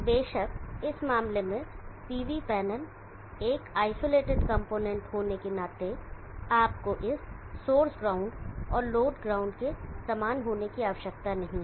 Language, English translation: Hindi, Of course in this case the PB panel being are isolated component you do not need to how this source ground and the load ground same